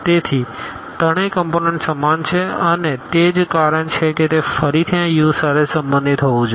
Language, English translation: Gujarati, So, all three components are equal and that that is the reason it must belong to this U again